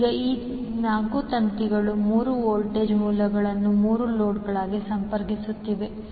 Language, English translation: Kannada, Now, these 4 wires are connecting the 3 voltage sources to the 3 loads